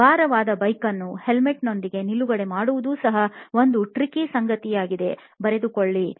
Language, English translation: Kannada, Parking a heavy bike with the helmet on is also a tricky affair again noted down